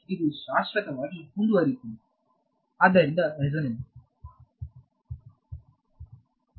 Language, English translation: Kannada, It keeps going on forever right, so the resonance